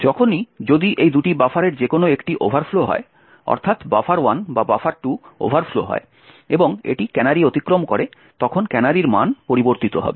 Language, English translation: Bengali, Now whenever, if any of these two buffers overflow, that is buffer 1 or buffer 2 overflows and it crosses the canary, then the canary value will be modified